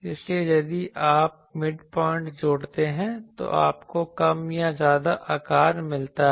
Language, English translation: Hindi, So, if you add the midpoints you get more or less that shape you can come ok